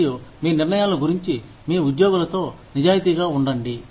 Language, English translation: Telugu, And, be honest, with your employees, about your decisions